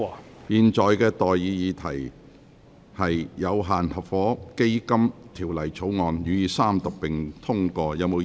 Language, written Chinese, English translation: Cantonese, 我現在向各位提出的待議議題是：《有限合夥基金條例草案》予以三讀並通過。, I now propose the question to you and that is That the Limited Partnership Fund Bill be read the Third time and do pass